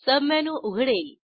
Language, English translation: Marathi, A sub menu opens